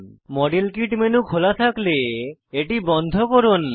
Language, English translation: Bengali, Exit the model kit menu, if it is open